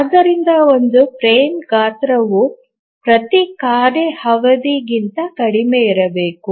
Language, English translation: Kannada, So a frame size must be less than every task period